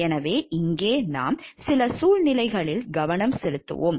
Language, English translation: Tamil, So, here we will just focus on some of those situations